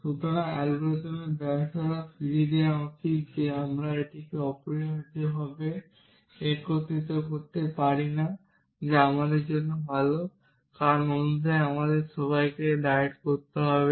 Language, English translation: Bengali, So, the algorithm should return failure in that we cannot unify this essentially which is good for us because otherwise all of us would have have to diet